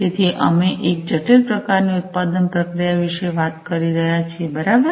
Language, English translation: Gujarati, So, we are talking about a complex kind of production process, right